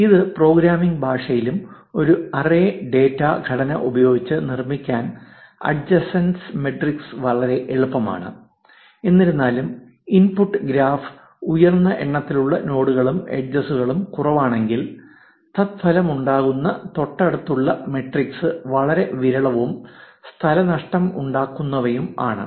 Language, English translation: Malayalam, Adjacency matrix can be very easy to construct using an array data structure in any programming language; however, if the input graph has high number of nodes and less edges then the resulting adjacency matrix can be very sparse and space consuming